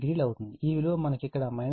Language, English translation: Telugu, 8, this we have got here 21